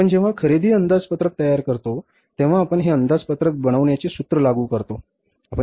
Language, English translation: Marathi, When you prepare the purchase budget, we apply this formula